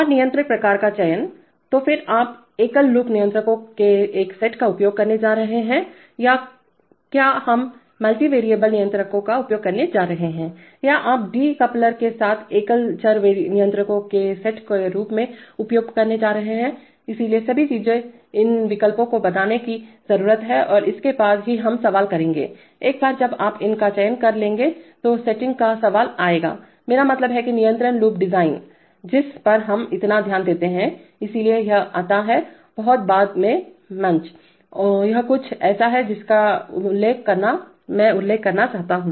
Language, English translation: Hindi, And selection of controller type, so then you are going to use a set of single loop controllers or whether we are going to use multivariable controllers or you are going to use as set of single variable controllers with a de coupler, so all these things these choices need to be made and only after that we will come the question of, once you have selected these then will come the question of setting, I mean, the control loop design, which we pay so much attention to, so that comes at a much later stage, this is something I wanted to mention